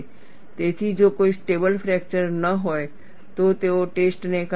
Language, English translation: Gujarati, So, if there is no stable fracture, they would discard the test